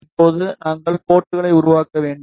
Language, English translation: Tamil, Now, we need to make the ports